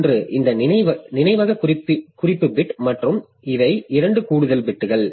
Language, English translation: Tamil, 1 is the, this memory reference bit and these are the 2 extra bits that we are talking about